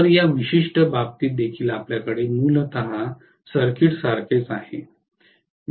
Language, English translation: Marathi, So in this particular case also we are going to have essentially the circuit similar